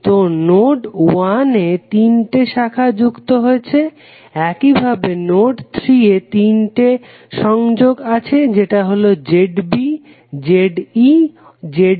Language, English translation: Bengali, So, node 1 has three connections, similarly node 2 also have three connections that is Z B, Z E, Z C